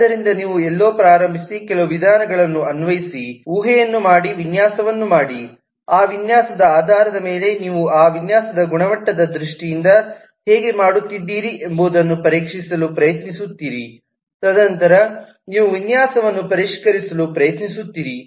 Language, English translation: Kannada, so you start somewhere, apply some of the methods, make a hypothesis, make a design based on that design, you try to check how are you doing in terms of the quality of that design and then you try to refine the design